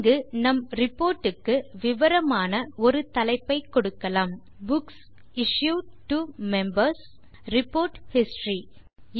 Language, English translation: Tamil, Let us give a descriptive title to our report here: Books Issued to Members: Report History